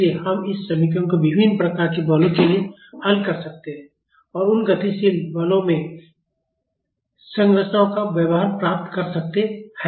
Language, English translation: Hindi, So, we can solve this equation for various types of forces and get the behavior of structures in those dynamic forces